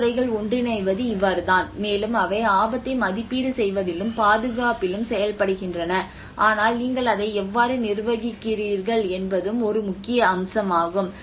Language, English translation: Tamil, \ \ And you know that is how a lot of disciplines come together and they work on this assessment of the risk as well, also the conservation but how you manage it is also an important aspect